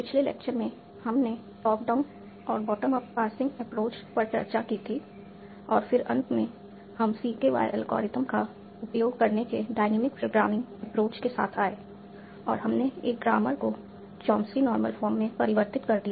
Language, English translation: Hindi, In the last lecture we had discussed top down and bottom of passing approach and then finally we came up with a dynamic programming approach of using CKY algorithm and we converted a grammar to CHOMS in normal form